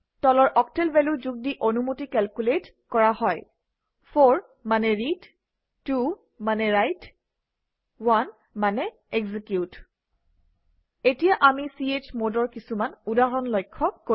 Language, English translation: Assamese, Permissions are calculated by adding the following octal values: 4 that is Read 2 that is Write 1 that is Execute Now we will look at some examples of chmod